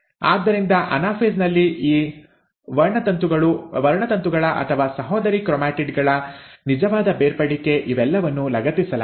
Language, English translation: Kannada, So in anaphase, the actual separation of these chromosomes or sister chromatids which were attached all this while starts getting segregated